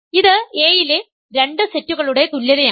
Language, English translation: Malayalam, So, the this is an equality of two sets in A